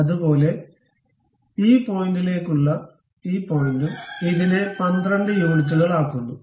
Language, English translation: Malayalam, Similarly, this point to this point also make it 12 units